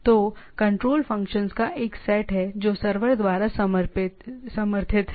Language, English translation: Hindi, So, there is a set of control functions, which are supported by the server